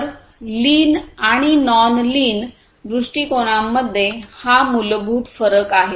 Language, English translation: Marathi, So, this fundamental difference between lean and the non lean approaches